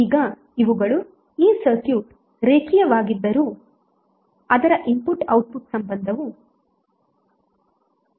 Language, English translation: Kannada, So now these, although this circuit may be linear but its input output relationship may become nonlinear